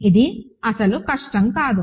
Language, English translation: Telugu, This is not difficult at all